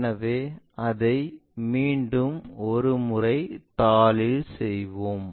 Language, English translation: Tamil, So, let us do it on the sheet once again